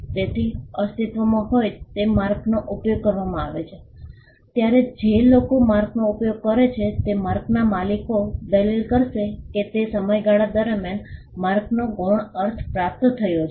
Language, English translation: Gujarati, So, when an existing mark is used, the people who use the mark, the owners of the mark would argue that the mark has acquired a secondary meaning over a period of time